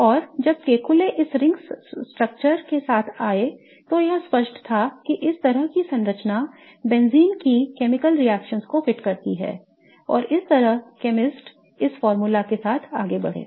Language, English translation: Hindi, And when Keckyule came up with this ring structure, it was evident that this kind of structure fits the chemical reactions of benzene and thus chemists went on with this formula